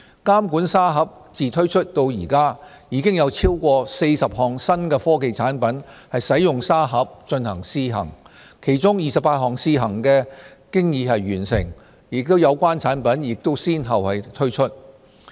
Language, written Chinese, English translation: Cantonese, 監管沙盒自推出至今，已有超過40項新科技產品使用沙盒進行試行，其中28項試行經已完成，有關產品亦已先後推出。, More than 40 new technology products have been allowed in the Supervisory Sandbox since its launch . Out of these cases 28 pilot trials have been completed and the products have been rolled out one after another